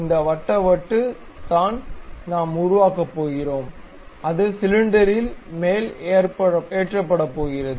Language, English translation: Tamil, This circle circular disc what we are going to construct, it is going to mount on the cylinder